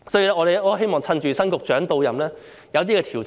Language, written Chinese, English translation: Cantonese, 因此，我希望趁新局長到任，能夠落實一些調整。, Therefore as the new Secretary has assumed office I hope he would take this opportunity to implement some adjustments